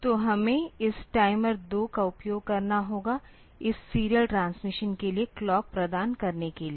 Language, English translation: Hindi, So, we have to use this timer 2 to act as the, this providing clock for this serial transmission